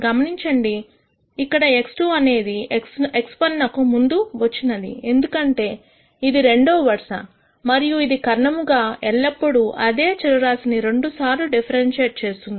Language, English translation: Telugu, Notice here that x 2 has come before x 1 because it is in the second row and this diagonally is always with respect to the same variable differentiated twice